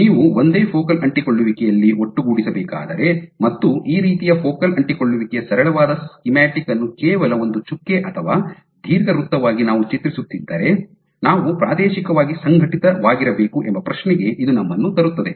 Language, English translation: Kannada, If you were to put together at a single focal adhesion and we draw the very simple we schematic of a focal adhesion like this, just a dot or an or an ellipse, but it brings to question that they must be spatially organized